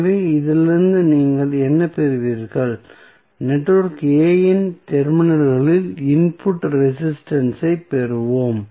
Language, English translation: Tamil, So, what will you get from this, we will get input resistance across the terminals of network A